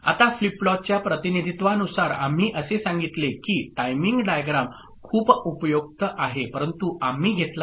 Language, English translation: Marathi, Now in the representation of the flip lop, we said that timing diagram is very useful, but we didn't take up